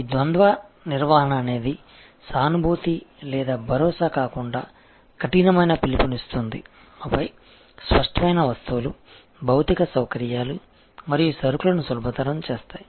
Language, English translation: Telugu, This duality management makes whether empathy or assurance rather tough call and then of course,, there are tangibles, physical facilities and facilitating goods